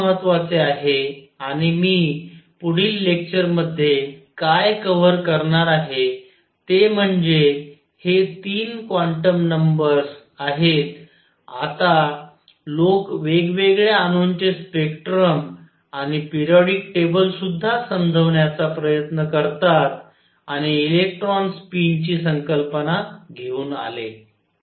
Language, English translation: Marathi, What is important and what I am going to cover in the next lecture is having these 3 quantum numbers now people try to explain the spectrum of different atoms and also the periodic table and came up with the concept of electron spin